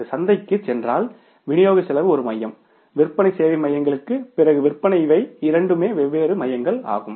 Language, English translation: Tamil, If it goes to the market then distribution cost is the one center, sales after sales service these are the two different centers